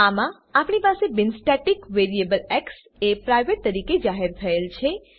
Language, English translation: Gujarati, In this we have a non static variable as x declared as private